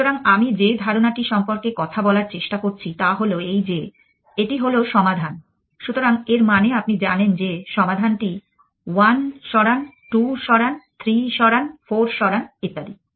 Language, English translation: Bengali, So, the idea that I am trying to talk about is this that this is the solution, so this means you know what the solution that move 1 is, move 2, move 3, move 4 and so on